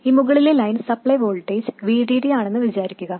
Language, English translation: Malayalam, This upper line is assumed to be the supply voltage VDD